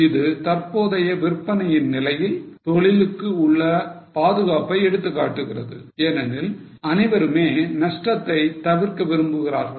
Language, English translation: Tamil, Now this represents the safety available to business at current level of sales because everybody wants to avoid losses